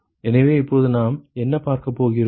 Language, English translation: Tamil, So, now what we are going to see